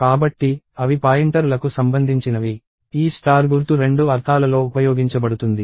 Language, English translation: Telugu, So, they are related to pointers, this asterisk symbol is used in two connotations